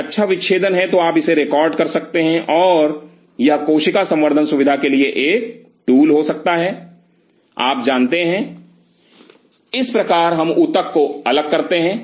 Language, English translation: Hindi, There is a good dissection you can record it and that could be a tool for cell culture facility, that you know this is how we isolate the tissue